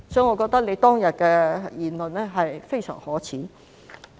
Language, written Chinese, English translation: Cantonese, 我覺得她當天的言論非常可耻。, I consider her speech on that day extremely shameful